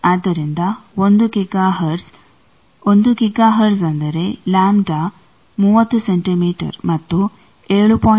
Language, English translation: Kannada, So, 1 Giga hertz; 1 Giga hertz means lambda will be thirty centimetre and 7